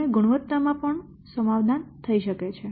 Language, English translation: Gujarati, So, and the quality also may be what compromised